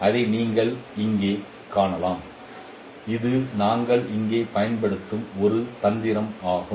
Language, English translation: Tamil, You can see that that is a trick we are using here